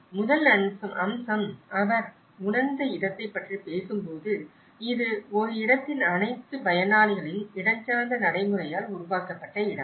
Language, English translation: Tamil, So, the first aspect, when he talks about the perceived space, which is the space which has been produced by the spatial practice of all the users of a space